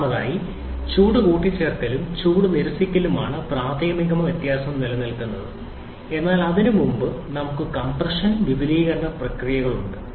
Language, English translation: Malayalam, Firstly, heat addition and heat rejection that is where primarily the difference lies, but before that we have the compression and expansion processes